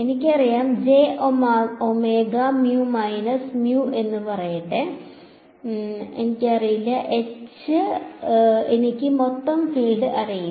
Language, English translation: Malayalam, I know let us say j omega mu minus mu naught I know, but I do not know H I do not know the total field